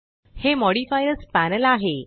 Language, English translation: Marathi, This is the Modifiers panel